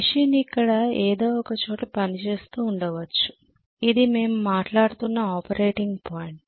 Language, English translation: Telugu, May be the machine was operating at some point here, this was the operating point that we are talking about okay